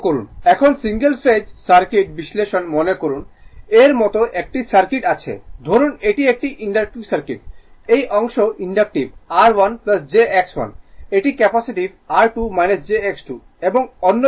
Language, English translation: Bengali, Now, single phase circuit analysis suppose, you have a circuit like this right you have a circuit like this say it is it is inductive circuit ah this part is inductive R 1 plus jX1 this is capacitive R 2 minus jX2 and another thing is that R 3